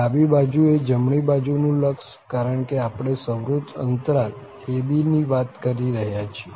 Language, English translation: Gujarati, One is the right hand limit at the left point, because we are talking about the close interval a b